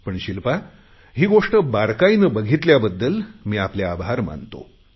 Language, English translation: Marathi, But I am glad, Shilpa, that you have observed these things